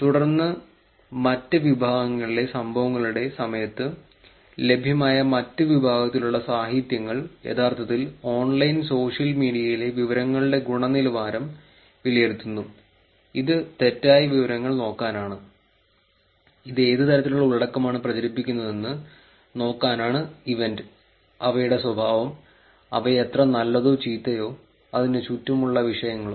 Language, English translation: Malayalam, And then, during the other category of events, the other category of literature that is available is actually assessing quality of information on online social media, which is to look at the misinformation, which is to look at what kind of content gets spread during this event, how characterization of them and how good or bad they are and topics around it